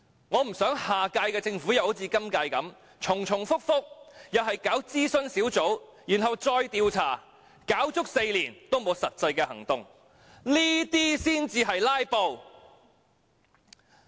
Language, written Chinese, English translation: Cantonese, 我不想下屆政府又好像今屆般，重重複複，又是搞諮詢小組，然後再調查，搞足4年也沒有實際行動，這些才是"拉布"。, I do not wish to see the next - term Government doing what the current - term one has done―it only repeatedly set up advisory groups and then carried out surveys without taking any practical actions after four years . This truly is filibuster